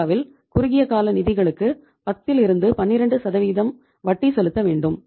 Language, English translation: Tamil, Short term funds we pay in India somewhere around 10 to 12 percent